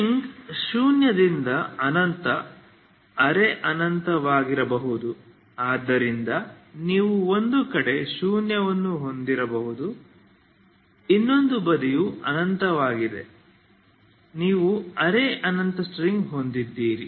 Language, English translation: Kannada, So string can be zero to infinity semi infinite also it can be so you may have one side zero other side is infinite if you have semi infinite string ok